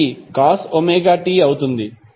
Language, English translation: Telugu, It would be COS omega T